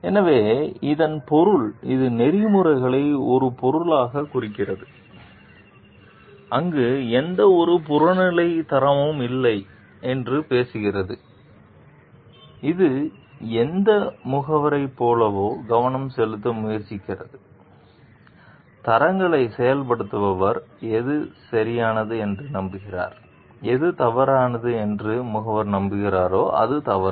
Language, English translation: Tamil, So, this means represent ethics as a subject where it talks of not having any objective standard, it is trying to focus on like whatever the agent, who is implementing the standards believes whatever is right is right and whatever that the agent believes to be wrong is wrong